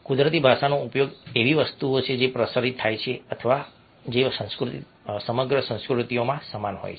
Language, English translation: Gujarati, natural language used is something which is transmitted or which is similar across cultures